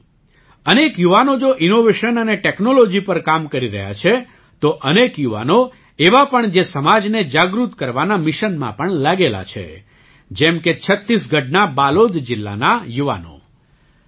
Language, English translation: Gujarati, Friends, if many youths are working through innovation and technology, there are many youths who are also engaged in the mission of making the society aware, like the youth of Balod district in Chhattisgarh